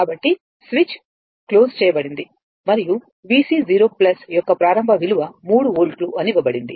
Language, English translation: Telugu, So, switch is closed and initial value of V C 0 plus is given 3 volt it is given